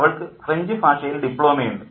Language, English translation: Malayalam, She has a diploma in French